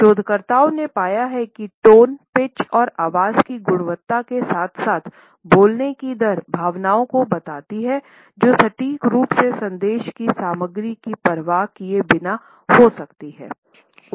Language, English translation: Hindi, Researchers have found that the tone pitch and quality of voice as well as the rate of speech conveys emotions that can be accurately judged regardless of the content of the message